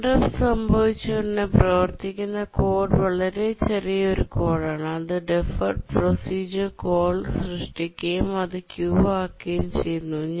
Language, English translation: Malayalam, Therefore, as soon as the interrupt occurs, the code that runs is a very small code that creates the deferred procedure call and queues it up